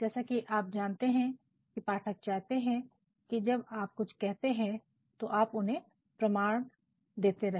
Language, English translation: Hindi, You know, audience members also want that when you say something you are actually giving them evidence